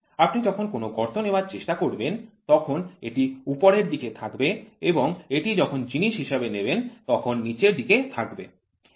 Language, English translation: Bengali, When you try to take a hole this will be on the upper side and this will be on the lower side with respect to material